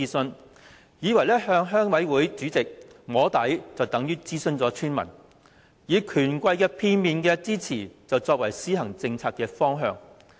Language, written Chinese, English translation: Cantonese, 政府以為向鄉委會主席"摸底"，便等同諮詢村民，以權貴的片面之詞，作為政策的方向。, The Government thought that soft lobbying a rural committee chairman was tantamount to consulting the villagers; it adopted the partial views of the bigwigs to set the policy direction